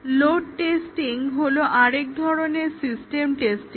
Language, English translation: Bengali, Another type of system testing is load testing